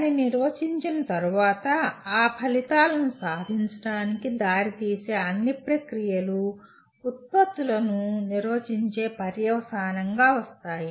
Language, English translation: Telugu, And having defined that, all the processes that lead to the attainment of those outcomes comes as a consequence of defining the products